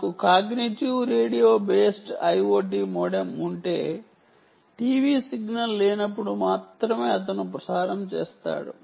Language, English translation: Telugu, if i have a cognitive radio based modem, i o t modem, he will transmit only when there is no t v signal